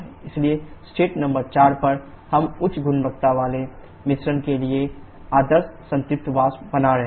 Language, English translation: Hindi, So, at state number 4 we are having ideal saturated vapour having high quality mixture